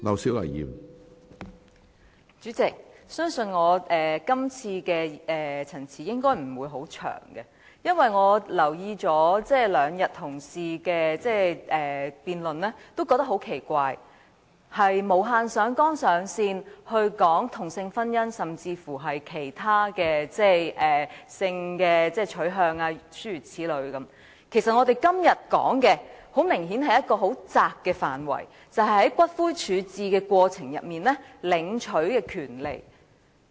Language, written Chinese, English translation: Cantonese, 主席，我相信我今次的發言應該不會很長，因為我留意到，同事在這兩天的辯論很奇怪，他們無限上綱上線地討論同性婚姻，甚至是性取向等問題。其實，我們今天討論的範圍明顯是很狹窄的，便是在骨灰處置程序中領取骨灰的權利。, Chairman I think my speech should be not very long because while I noticed and found it strange that Honourable colleagues have infinitely expanded the scope of the question by discussing such issues as same - sex marriage and even sexual orientation the scope of our discussion today is obviously very narrow which is about the right to claim ashes in the ash disposal procedures